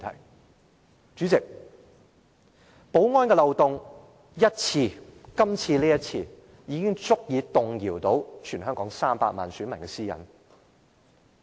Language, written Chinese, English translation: Cantonese, 代理主席，保安漏洞只需出現一次，便是今次這一次，就足以動搖到全香港300萬名選民的私隱。, Deputy President a security loophole like this which has occurred only once is already enough to put the privacy of all 3 million electors in Hong Kong at stake